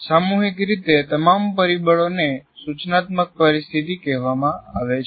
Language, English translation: Gujarati, So collectively all the factors together are called instructional situation